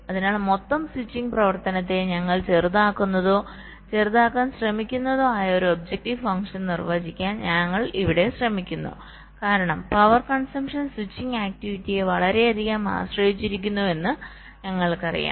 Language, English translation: Malayalam, so here we are trying to define an objective function where we are minimizing or trying to minimize the total switching activity, because we know that the power consumption is greatly dependent on the switching activity